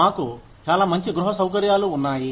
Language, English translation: Telugu, We have very nice housing facilities